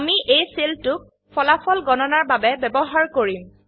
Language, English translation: Assamese, We shall use this cell to compute the result